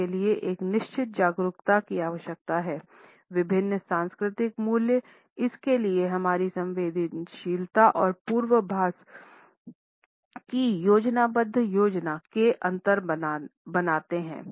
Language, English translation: Hindi, It requires a certain awareness of different cultural values, our sensitivity towards it and an empathetic planning to foresee these differences and plan for them